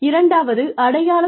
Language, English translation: Tamil, The second sign